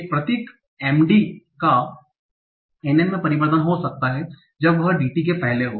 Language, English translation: Hindi, So one simple rule can be MD changes to NN, sorry, to NN when preceded by DT